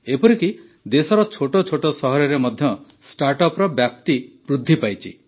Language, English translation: Odia, The reach of startups has increased even in small towns of the country